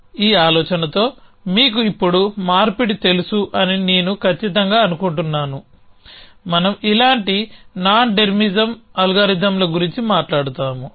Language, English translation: Telugu, Off course, I am sure your know conversion with this idea now, that we talk about nondetermisum algorithms like this